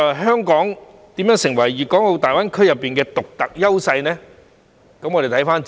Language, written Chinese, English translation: Cantonese, 香港如何能成為大灣區的獨特優勢呢？, How can Hong Kong become the unique advantage of GBA?